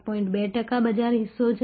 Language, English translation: Gujarati, 2 percent market share